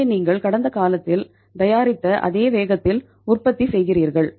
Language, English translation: Tamil, So you are producing at the same pace as you were producing in the past